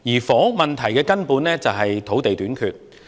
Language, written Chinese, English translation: Cantonese, 房屋問題的根源是土地短缺。, The root cause of the housing problem is land shortage